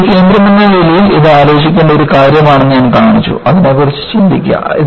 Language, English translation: Malayalam, I had shown that, as a center, it is a point to ponder, think about it